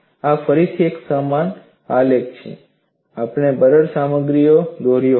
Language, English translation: Gujarati, This is again a similar graph that we had drawn for a brittle material